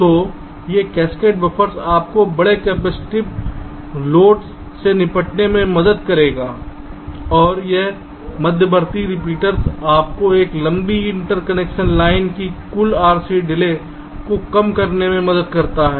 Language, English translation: Hindi, so these cascaded buffers will help you in tackling the large capacitive loads and this intermediate repeaters help you in reducing the total r c delay of this long interconnection line, because this can be a long interconnect